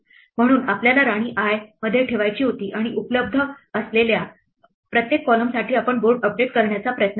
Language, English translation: Marathi, So, we wanted to place the queen in row i and for each column that is available we would try to update the board and so on